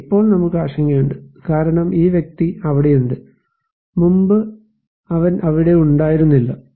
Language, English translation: Malayalam, Yes, we concern because this person is there and earlier he was not there